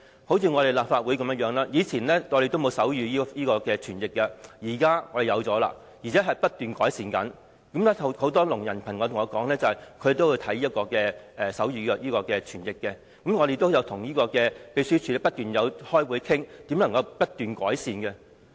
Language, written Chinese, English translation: Cantonese, 正如立法會以前也沒有提供手語傳譯，現在我們提供了，而且不斷改善。很多聾人朋友對我說，他們都會觀看手語傳譯，而我們也一直與立法會秘書處開會討論如何不斷改善。, The Legislative Council used to not provide sign language interpretation but provides it now and we have been meeting with the Legislative Council Secretariat to discuss making continuous improvement